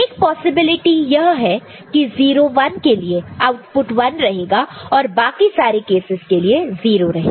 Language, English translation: Hindi, One possibility is that the for 0 1 it is 1, rest of the cases is 0